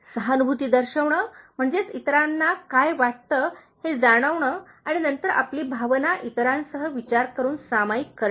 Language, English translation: Marathi, Showing empathy, that is, feeling what others are feeling and then sharing your emotion with them, thinking about others